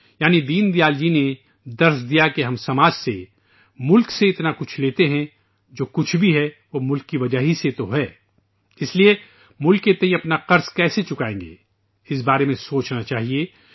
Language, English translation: Urdu, " That is, Deen Dayal ji taught us that we take so much from society, from the country, whatever it be, it is only because of the country ; thus we should think about how we will repay our debt towards the country